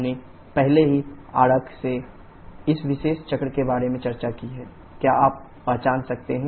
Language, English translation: Hindi, We have already discussed about this particular cycle from the diagram, can you identify